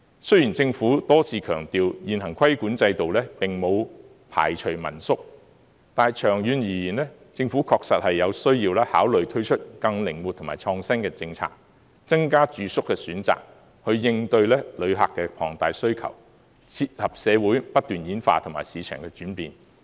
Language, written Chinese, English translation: Cantonese, 雖然政府多次強調現行規管制度並無排除民宿，但長遠而言，政府確實有需要考慮推出更靈活及創新的政策，增加住宿的選擇，以應對旅客的龐大需求，切合社會不斷演化及市場的轉變。, The Government has reiterated that under the current regulatory regime family - run lodgings are not excluded from the Governments consideration but in the long run the Government needs to consider the introduction of a more flexible and innovative policy in order to increase the accommodation options to meet the huge needs of visitors and to keep in tandem with the evolution of society and the ever - changing market situation